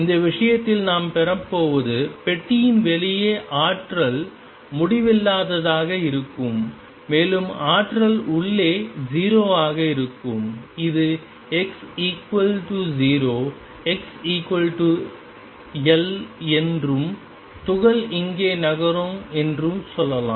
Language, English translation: Tamil, In this case what we are going to have is a box in which the potential is infinite outside the box, and potential is 0 inside let us say this is x equal 0 x equals L and the particle is moving around here